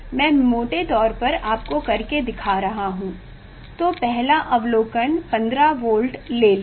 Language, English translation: Hindi, one should take accurately just roughly I am taking first observation 15 volt